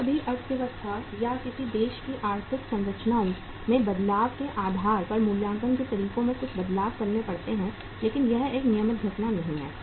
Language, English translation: Hindi, Sometimes some changes have to be made in the valuation methods depending upon the changes in the economy or in the economic structures of any country but that is not a regular phenomena